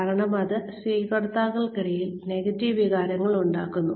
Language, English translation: Malayalam, Because, it produces negative feelings, among recipients